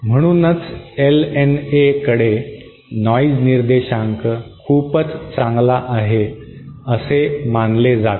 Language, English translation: Marathi, That is why LNA is supposed to have a very good noise figure